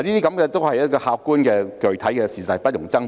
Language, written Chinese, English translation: Cantonese, 這些都是客觀而具體的事實，不容爭辯。, All these are objective and specific facts leaving no room for debate